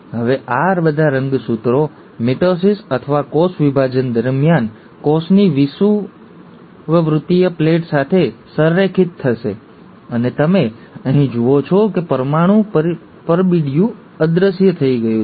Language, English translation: Gujarati, Now all these chromosomes, during mitosis or cell division, will align to the equatorial plate of the cell, and you observe here that the nuclear envelope has disappeared